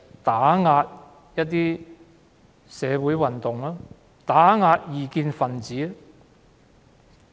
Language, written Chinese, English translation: Cantonese, 便是要打壓社會運動和異見分子。, The purpose is to suppress social movements and dissidents